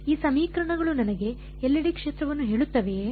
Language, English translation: Kannada, Do this equations tell me the field everywhere